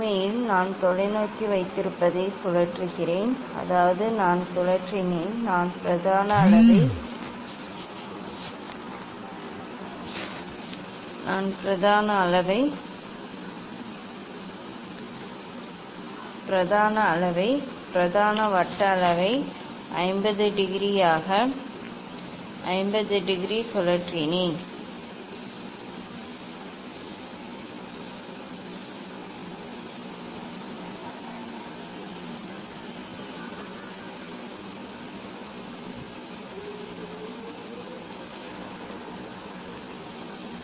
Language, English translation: Tamil, actually, I rotate the I have telescope means I have rotated the; I have rotated the main scale, main circular scale by 50 degree; that means, we have 40 then more 50 is rotated